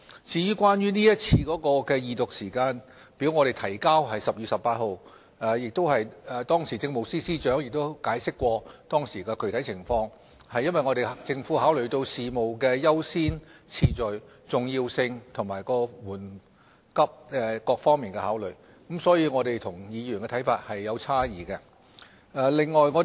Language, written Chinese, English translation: Cantonese, 至於今次的二讀時間表，我們於10月18日提交《條例草案》，政務司司長亦有解釋當時的具體情況，指出政府是考慮到事務的優先次序、重要性和緩急各方面才這樣做，可見我們跟議員的看法有差異。, As for the Second Reading schedule this time around the Bill was introduced on 18 October . In explaining the specific circumstances at the time the Chief Secretary for Administration pointed out that the Government had decided to handle things this way after considering such factors as priority importance and urgency among different issues . This shows the difference between our views and those of Members